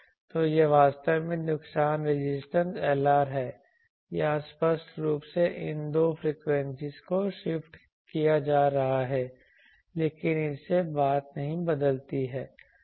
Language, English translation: Hindi, So, this is actually the loss resistance Lr ok, here you see obviously these two frequencies are getting shifted but that does not change the thing